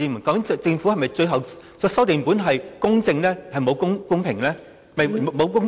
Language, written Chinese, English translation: Cantonese, 究竟政府的最後修訂本是否只有"公平"而沒有"公正"呢？, Is it the case that there is only the word equitable but not the word just in the latest revision of the Governments document?